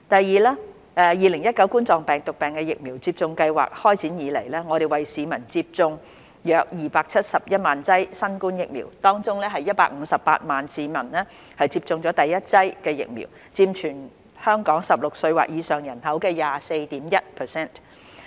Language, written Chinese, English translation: Cantonese, 二及三2019冠狀病毒病疫苗接種計劃開展以來，我們為市民接種約271萬劑新冠疫苗，當中約158萬名市民接種了第一劑疫苗，佔全港16歲或以上人口的 24.1%。, They should consult a doctor if there are any concerns . 2 and 3 Since the start of the COVID - 19 Vaccination Programme about 2.71 million doses of vaccines had been administered and about 1.58 million of them were the first dose accounting for 24.1 % of the population aged 16 or above in Hong Kong